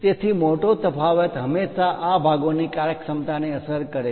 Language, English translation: Gujarati, So, a large variation always affects the functionality of this parts